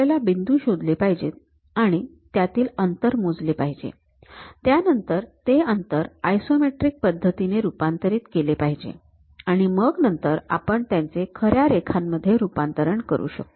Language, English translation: Marathi, We locate the points, measure those distance; then convert those distance in terms of isometric, then we will convert into true lines